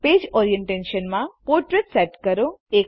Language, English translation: Gujarati, Set the page orientation to Portrait